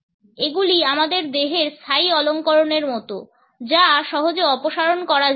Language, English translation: Bengali, They are like a permanent decoration to our body which cannot be easily removed